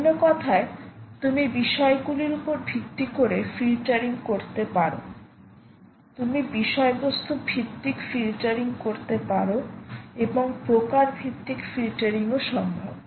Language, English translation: Bengali, in another words, you can do filtering based on subjects, you can do based on subject based filtering, you can do content based filtering and you can also do some type based filtering